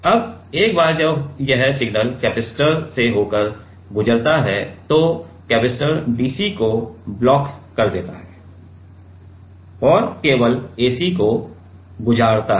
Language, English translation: Hindi, Now, once this signal passed through the capacitor then, capacitor blocks the dc only the ac is passed through